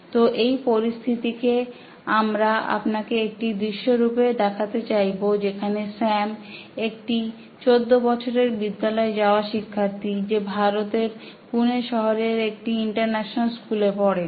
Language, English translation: Bengali, So in this situation what we are going to show you as a scene where this is Sam, a 14 year old school going student, he studies in an international school in Pune, India and let us see what happens in a classroom